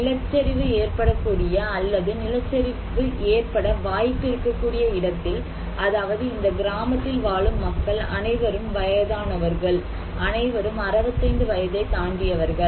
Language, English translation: Tamil, If in a place that is prone to landslides or potentially to have a landslide, like this one you can see and maybe in this village, the all people living there are old people; senior citizens above 65 years old